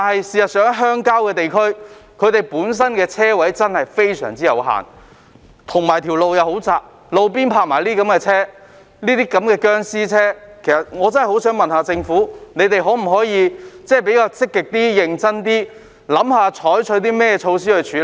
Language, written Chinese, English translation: Cantonese, 事實上，鄉郊地區本身的車位真的非常有限，道路又非常狹窄，而路邊還停泊這類"殭屍車"，政府能否積極、認真思考採取措施處理？, In fact the rural areas have indeed a very limited number of parking spaces and very narrow roads but such zombie vehicles are still parked on the roadside . Can the Government actively and seriously consider adopting measures to address the problem?